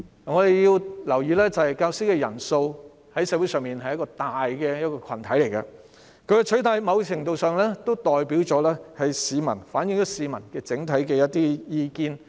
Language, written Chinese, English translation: Cantonese, 我們要留意的是，教師在社會上是一個大群體，他們的取態在某程度上反映了部分市民的整體意見。, We should note that teachers are a major group in society . To a certain extent their stance reflects the overall views of some members of the public